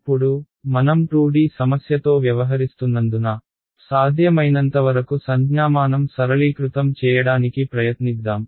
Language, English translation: Telugu, Now, because we are dealing with the 2D problem let us try to just simplify notation as much as possible